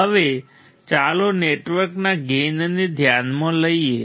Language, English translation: Gujarati, Now let us consider the gain of the network